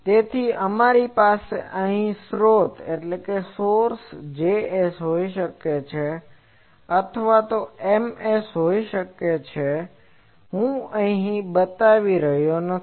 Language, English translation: Gujarati, So, we have the sources here may be J s, may be M s that I am not showing here